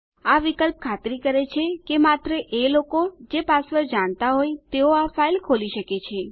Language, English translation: Gujarati, This option ensures that only people who know the password can open this file